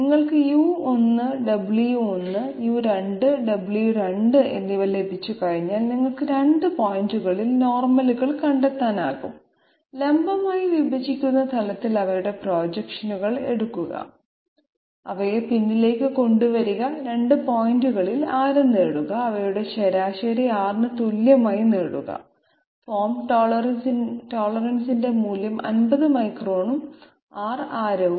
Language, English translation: Malayalam, Once you get U1, W1 and U2, W2, you can find out the normals at the 2 points, take their projections on the vertical intersecting plane, producing them backwards, get radii at the 2 points, get their mean equal to R with the values of say form tolerance 50 microns and the radius R